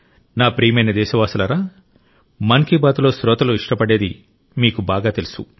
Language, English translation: Telugu, what the listeners of 'Mann Ki Baat' like, only you know better